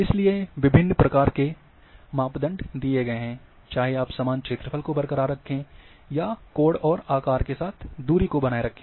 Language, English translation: Hindi, So, various emphases have been given, whether you want to keep area intact, or distance intact or intact with the angle and shape